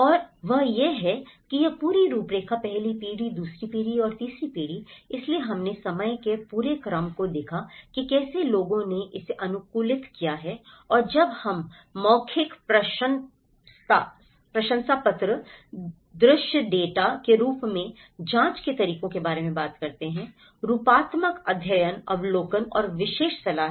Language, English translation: Hindi, And that is how this whole framework, the first generation, second generation and the third generation, so we looked at the whole sequence of time how people have adapted to it and when we talk about the methods of inquiry as oral testimonies, the visual data, the morphological studies, observation and expert advice